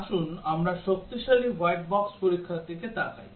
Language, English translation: Bengali, Let us look at stronger white box testing